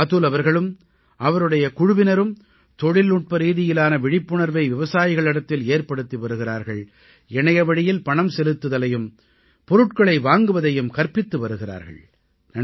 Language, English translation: Tamil, Atul ji and his team are working to impart technological knowhow to the farmers and also teaching them about online payment and procurement